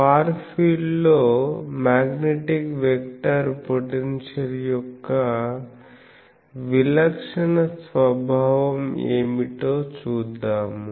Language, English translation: Telugu, Now, I leave it here; a typical nature of a magnetic vector potential in the far field